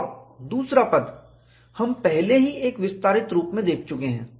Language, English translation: Hindi, And second term, we have already seen in an expanded form